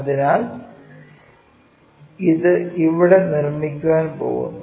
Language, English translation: Malayalam, So, it is going to make it here